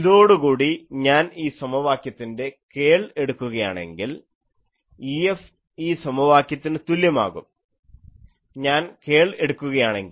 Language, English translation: Malayalam, Now with this, if I take curl of the this equation E F is equal to this equation if I take the curl, this defining equation